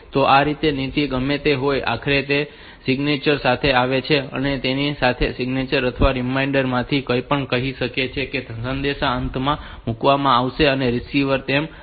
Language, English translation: Gujarati, So, this way whatever be the policy, ultimately it comes up with a signature and that signature or the reminder whatever we call it so that will be put at the end of the message and the receiver will